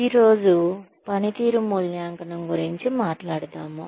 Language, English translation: Telugu, Today, we will talk about, performance evaluation